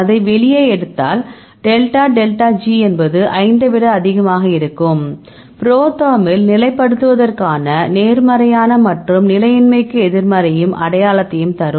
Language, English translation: Tamil, If you take this out and, if you get the delta delta G is more than 5 because in the ProTherm, we give the positive sign for stabilizing and negative for the destabilizing